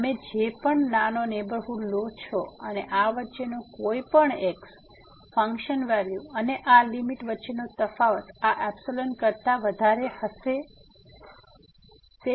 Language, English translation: Gujarati, Whatever small neighborhood you take and any between this, the difference between the function value and this limit will exceed than this epsilon here